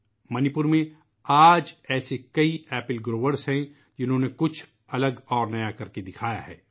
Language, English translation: Urdu, There are many such apple growers in Manipur who have demonstrated something different and something new